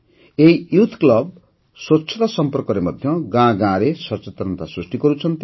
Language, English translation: Odia, This youth club is also spreading awareness in every village regarding cleanliness